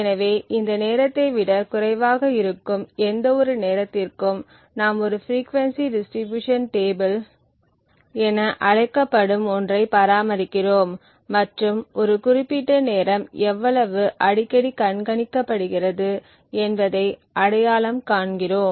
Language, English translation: Tamil, So, for any of these timing which is less than the threshold we maintain something known as a frequency distribution table and identify how often a particular time is observed